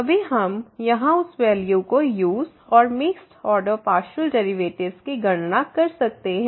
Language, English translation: Hindi, Then we can use that value here and compute this mixed order partial derivative